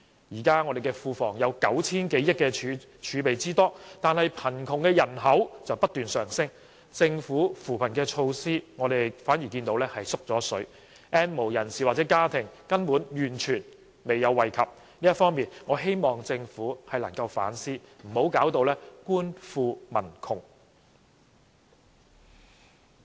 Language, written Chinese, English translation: Cantonese, 現時我們的庫房有 9,000 多億元儲備，但貧窮人口卻不斷上升，而政府的扶貧措施反而減少了 ，"N 無人士"或家庭根本完全沒有受惠，我希望政府能夠就此反思，不要弄至官富民窮。, At present despite having a fiscal reserve of over 900 billion in our coffers the number of poor people is increasing . Nevertheless the Government has implemented fewer poverty alleviation measures and no benefits have been given to the N have - nots households . I hope the Government can reflect on this and avoid making officials rich but people poor